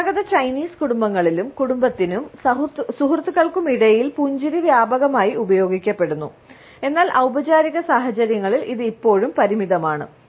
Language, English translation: Malayalam, In traditional Chinese families also, smiling is used extensively among family and friends, but in formal situations it may still be limited